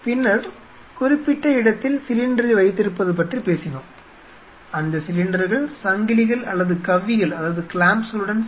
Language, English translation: Tamil, Then we talked about storage of the cylinder at specific location where the cylinders have to be ensured that those cylinders are properly hooked with chains or clamps